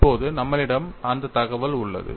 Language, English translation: Tamil, Now, we have that information